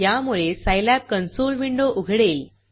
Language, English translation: Marathi, This will open the Scilab console window